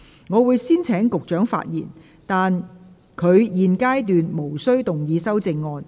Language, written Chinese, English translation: Cantonese, 我會先請局長發言，但他在現階段無須動議修正案。, I will first call upon the Secretary to speak but he is not required to move his amendments at this stage